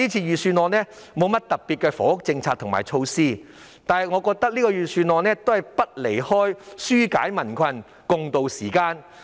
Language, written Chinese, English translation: Cantonese, 預算案沒有特別的房屋政策和措施，但我認為預算案離不開紓解民困，共渡時艱。, The Budget does not contain special housing policies and measures but I think the main theme of the Budget is to relieve the hardship of the public and tide over difficulties together